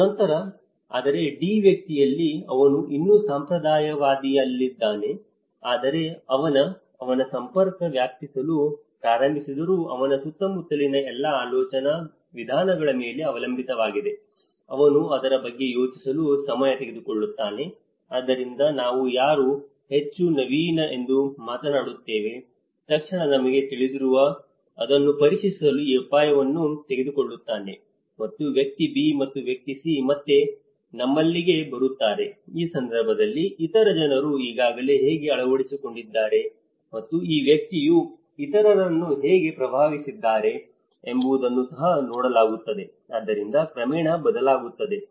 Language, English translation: Kannada, And then, whereas in the person D, he is still in a conservative but his; all his surroundings still relying on his own ways of thinking though his network have started erupting, he takes time to think about it, so that is where we talk about who is more innovative, the one who immediately you know takes that risk to test it and the person B and person C again they comes in you know here again, in this case, it is also looked at how other people have already adopted and either this person have influenced others, so that gradually changes